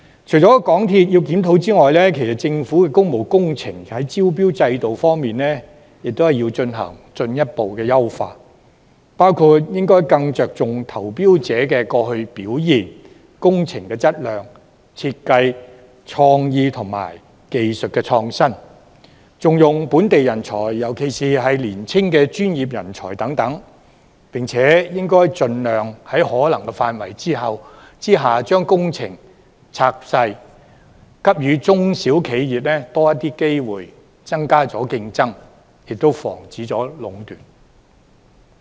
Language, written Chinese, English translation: Cantonese, 除了港鐵公司要檢討之外，政府亦要進一步優化工務工程項目的招標制度，包括應該更着重投標者過去的表現、工程質量、設計創意及技術創新、重用本地人才，尤其是年青的專業人才等，並且應盡量在可能的範圍之下，把工程細分，以給予中小企業更多機會，增加競爭，亦防止壟斷。, While MTRCL has to conduct a review the Government also has to further improve the tendering system for Public Works Programme projects . This includes putting more emphasis on the past performance works quality design creativity and technology innovation of tenderers giving more opportunities to local talents especially young professionals and whenever possible breaking down a project into smaller - scale ones so as to give more opportunities to small and medium enterprises which will enhance competition and prevent monopolization